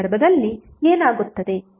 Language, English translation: Kannada, What will happen in that case